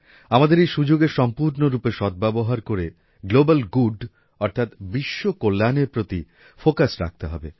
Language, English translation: Bengali, We have to make full use of this opportunity and focus on Global Good, world welfare